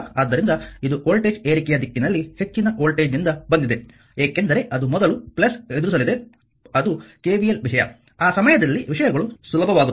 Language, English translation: Kannada, So, it is from the voltage your from the higher your what you call in the direction of the voltage rise, because it will encounter plus first one is the KVL thing at the time things will be easier